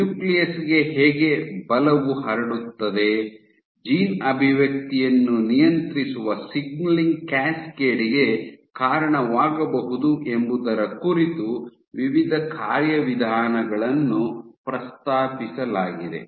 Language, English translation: Kannada, So, there are various mechanisms which have been proposed as to how forces transmitted to the nucleus, might lead to a signaling cascade controlling gene expression ok